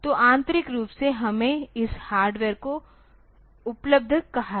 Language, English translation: Hindi, So, in the internally so, we have called this hardware available